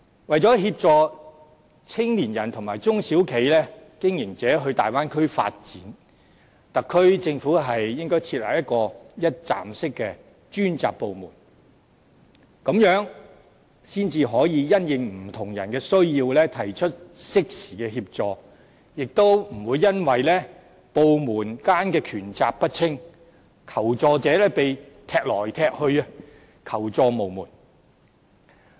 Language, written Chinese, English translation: Cantonese, 為了協助青年人和中小企經營者前往大灣區發展，特區政府應該設立一個一站式的專責部門，這樣才可以因應不同人士的需要提出適時的協助，亦不會因為部門間權責不清，令求助者被"踢來踢去"，求助無門。, In order to assist young people and SME operators in developing in the Bay Area the SAR Government should set up a one - stop dedicated department . Through this measure it can provide timely assistance in response to individual needs and those who seek assistance will not be passed around helplessly because of poor division of work among different departments